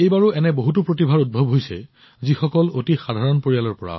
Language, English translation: Assamese, This time too many such talents have emerged, who are from very ordinary families